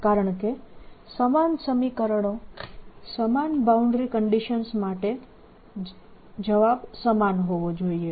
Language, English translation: Gujarati, because similar equation, similar boundary conditions should have the same answer